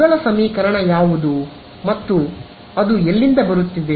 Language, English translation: Kannada, What is the first equation telling you or rather where is it coming from